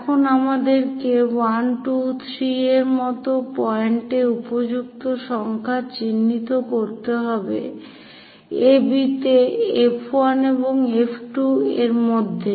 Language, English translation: Bengali, Now, we have to mark suitable number of points something like 1, 2, 3, on AB between F 1 and F 2